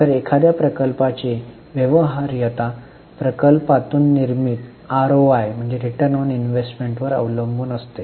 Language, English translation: Marathi, So, viability of a project very much depends on ROI generated by the project